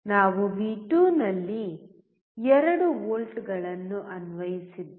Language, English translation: Kannada, We have applied 2 volts at V2